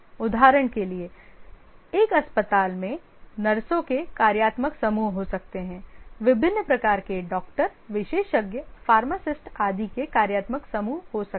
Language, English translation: Hindi, For example, in a hospital there may be a functional group of nurses, there may be a functional group of nurses, there may be functional group of various types of doctors, specialists, pharmacists and so on